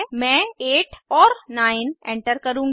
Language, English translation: Hindi, I will enter 8 and 9